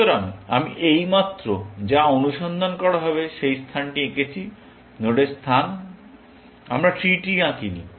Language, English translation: Bengali, So, I have just drawn the space that is going to be searched; the space of nodes; we have not drawn the tree